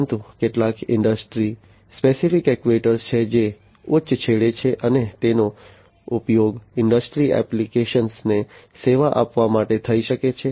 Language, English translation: Gujarati, But there are some industry specific actuators that are at the higher end and could be used to serve industry applications